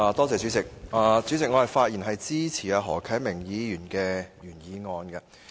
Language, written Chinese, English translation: Cantonese, 主席，我發言支持何啟明議員的原議案。, President I rise to speak in support of the original motion of Mr HO Kai - ming